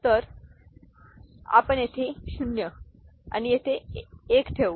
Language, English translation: Marathi, So, again we shall put 0s here and 1s here